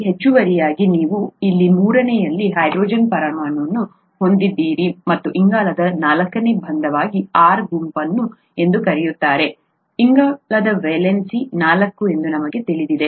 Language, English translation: Kannada, In addition you have a hydrogen atom here at the third and something called an R group as the fourth bond of the carbon, you know that carbon valency is four